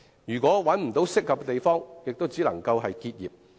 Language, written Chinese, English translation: Cantonese, 如果無法找到合適的地方，它們只能夠結業。, If owners of these workshops cannot find other suitable places to operate they have no choice but to close down